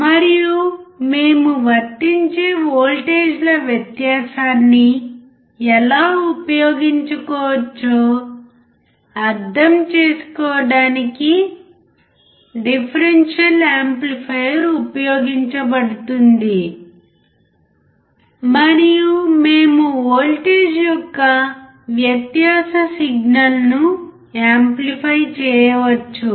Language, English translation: Telugu, And the differential amplifier was used to understand the how the difference of the voltages that we apply can be used and we can amplify the signal of the difference voltage